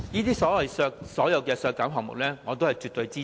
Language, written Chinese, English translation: Cantonese, 對所有這些削減項目，我絕對支持。, I absolutely support all of these reductions